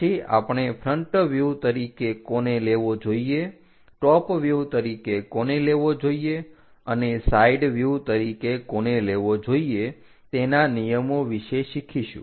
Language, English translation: Gujarati, Later we will learn about their rules which one to be picked as front view, which one to be picked as top view and which one to be picked as side view